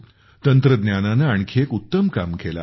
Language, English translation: Marathi, Technology has done another great job